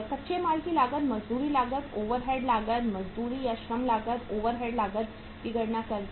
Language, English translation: Hindi, By calculating the raw material cost, wages cost, overheads cost, wages or the labour cost, overhead cost